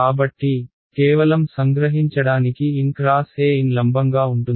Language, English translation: Telugu, So, just to summarize n cross E is going to be perpendicular to n